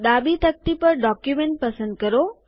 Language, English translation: Gujarati, On the left pane, select Document